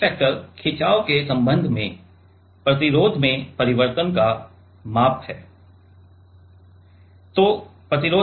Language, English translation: Hindi, Gauge factor is measure of change in resistance with respect to the strain right